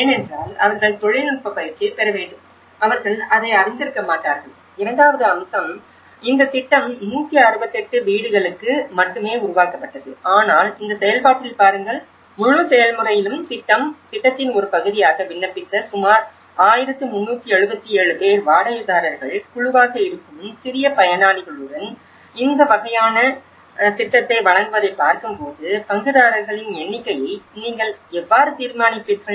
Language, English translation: Tamil, Because they need to get the technical training and they are not may not be aware of it and the second aspect is this project was only conceived for 168 houses but about 1377 who have applied to be part of the project, see in this process; in the whole process, when you are looking at delivered this kind of project for with the small actors who are the rental group, how will you decide on the number of stakeholders